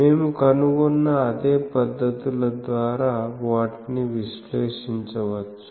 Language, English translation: Telugu, They can be analyzed by the same techniques that we have found